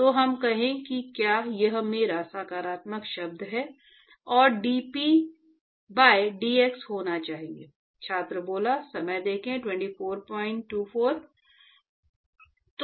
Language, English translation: Hindi, So, that is what, let us say if this is my positive term here and dP by dx has to be